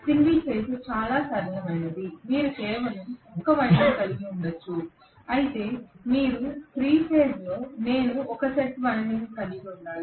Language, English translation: Telugu, Right, single phase is much simpler, you can just have one winding that is it forget about it whereas here I have to have 3 sets of windings